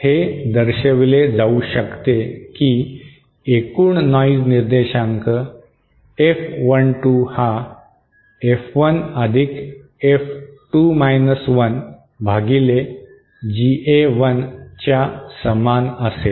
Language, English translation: Marathi, It can be shown that overall noise figure F12 will be equal to F1+F2 1 upon GA1